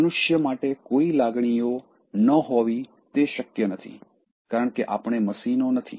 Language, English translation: Gujarati, So, it is not possible for you not to have emotions at all, because, we are not machines